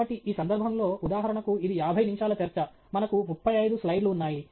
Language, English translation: Telugu, So, in this case, for example, it’s a fifty minute talk, we have about thirty five slides